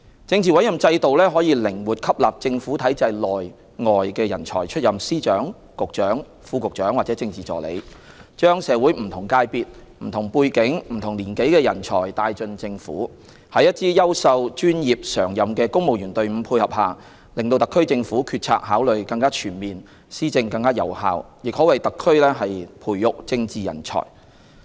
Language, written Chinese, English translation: Cantonese, 政治委任制度可以靈活吸納政府體制內、外的人才出任司長、局長、副局長或政治助理，將社會不同界別、不同背景、不同年紀的人才帶進政府，在一支優秀、專業、常任的公務員隊伍配合下，令特區政府決策考慮更全面、施政更有效，亦可為特區培育政治人才。, Under the Political Appointment System posts such as Secretaries of Department Directors of Bureau Deputy Directors of Bureau and Political Assistants are filled by talents of different sectors backgrounds and age groups flexibly drawn from within and outside the Government . With the support of a high - quality professional and permanent civil service the HKSAR Government is able to make better - informed decisions implement policies more effectively and nurture political talents for the HKSAR